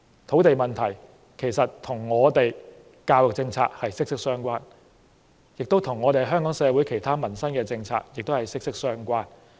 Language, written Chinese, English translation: Cantonese, 土地問題不但跟我們的教育政策息息相關，也跟香港社會其他民生政策息息相關。, Land is not only closely related to our education policy but also other livelihood issues in Hong Kong